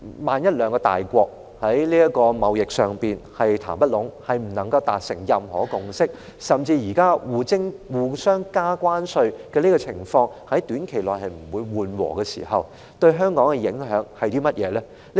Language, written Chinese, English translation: Cantonese, 萬一兩個大國在這場貿易談判中談不攏，不能達成任何共識，甚至現時雙方互加關稅的情況在短期內不會緩和，這些情況對香港有何影響呢？, In the event that the two major powers fail to reach any agreement or consensus in this trade talk or even the current situation of both sides imposing tariffs on each other will not ease in a short time how will these circumstances affect Hong Kong?